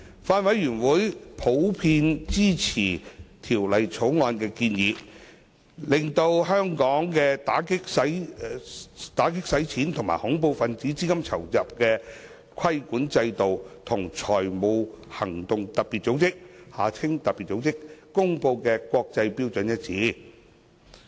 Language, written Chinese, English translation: Cantonese, 法案委員會普遍支持《條例草案》的建議，令香港的打擊洗錢及恐怖分子資金籌集的規管制度，與財務行動特別組織公布的國際標準一致。, The Bills Committee supports the proposals of the Bill in general which would align Hong Kongs anti - money laundering and counter - terrorist financing AMLCTF regulatory regime with international standards as promulgated by the Financial Action Task Force FATF